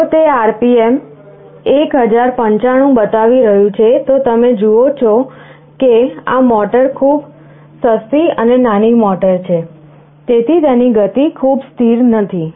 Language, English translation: Gujarati, If it is showing the RPM is 1095, you see this motor is a very cheap and small motor, so its speed is not very stable